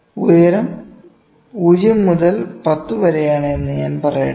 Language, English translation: Malayalam, Let me say heights from 0 to 10, ok